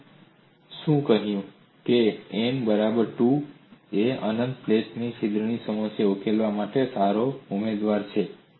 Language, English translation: Gujarati, We have said n equal to 2, is the good candidate for solving the problem of a plate with an infinite hole